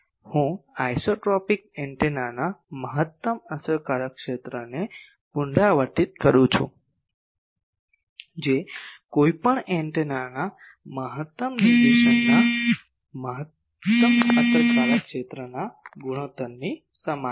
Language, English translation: Gujarati, I repeat the maximum effective area of an isotropic antenna is equal to the ratio of the maximum effective area to maximum directivity of any other antenna